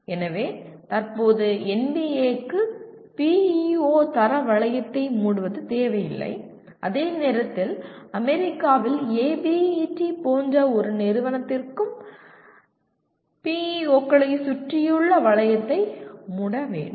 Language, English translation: Tamil, So at present NBA does not require closure of the PEO quality loop while an agency like ABET in USA will also require the closure of the loop around PEOs